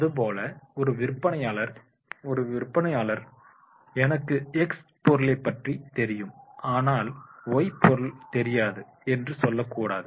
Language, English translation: Tamil, A salesman should not answer like this, that is the he is aware of the X product, but he is not aware of the Y product